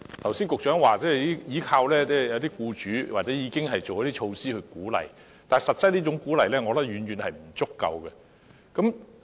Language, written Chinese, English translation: Cantonese, 局長剛才表示要依靠僱主或已經推行一些措施來鼓勵僱主，但我認為這種鼓勵實際上是遠遠不足夠的。, The Secretary said just now that it was up to employers to take measures or some measures had already been taken to incentivize employers but I think this type of encouragement is far from adequate